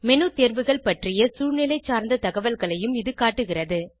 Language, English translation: Tamil, It also displays contextual information about menu items